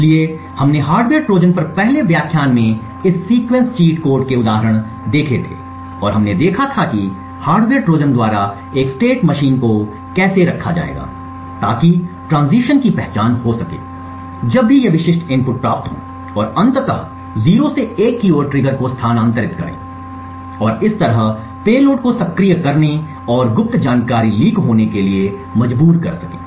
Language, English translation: Hindi, So we had seen examples of this sequence cheat code in the first lecture on hardware Trojans and we had seen how a state machine would be maintained by the hardware Trojan to identify transitions whenever these specific inputs are obtained and eventually move the trigger from a 0 to a 1 and thereby by forcing the payload to be activated and secret information leaked out